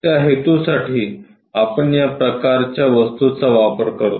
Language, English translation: Marathi, For that purpose, we use this kind of object